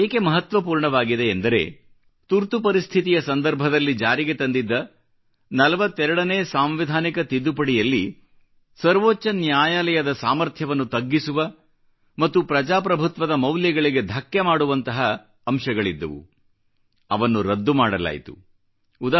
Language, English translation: Kannada, This was important because the 42nd amendment which was brought during the emergency, curtailed the powers of the Supreme Court and implemented provisions which stood to violate our democratic values, was struck down